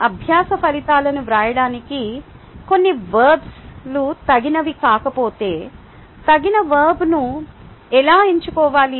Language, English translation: Telugu, if certain verbs are not appropriate for writing learning outcomes, how do i select an appropriate verb